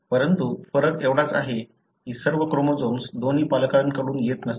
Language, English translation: Marathi, But, only difference is that not all chromosomes are from both parents